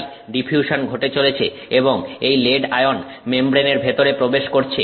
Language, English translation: Bengali, So, diffusion is occurring and the lead ion is going inside the membrane